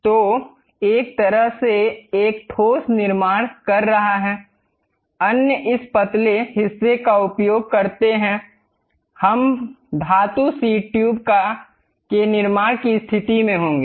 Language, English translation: Hindi, So, one way is constructing a solid one; other one is by using this thin portion, we will be in a position to construct a metal sheet tube